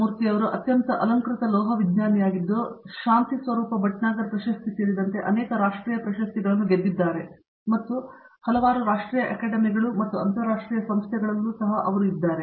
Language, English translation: Kannada, He is a highly decorated metallurgist, has won many national awards including the Shanthi Swarup Bhatnagar Award, and he is also the fellow of several national academies and also in many international organizations